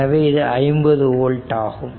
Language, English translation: Tamil, So, it will be 100 volt right